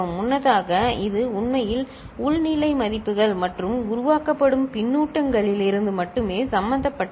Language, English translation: Tamil, Earlier it was actually involving only from internal state values and the feedback that is getting generated